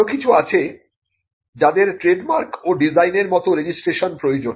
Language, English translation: Bengali, There are others which require registration like trademarks and designs